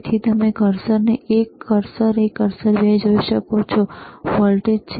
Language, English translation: Gujarati, So, you can see cursor one, cursor 2 that is the voltage